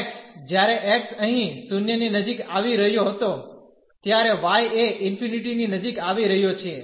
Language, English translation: Gujarati, So, x, when x was approaching to 0 here, the y is approaching to infinity